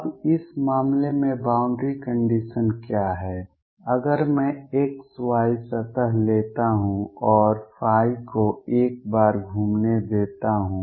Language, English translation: Hindi, Now, what is the boundary condition in this case this is if I take the x y plane and let phi go around once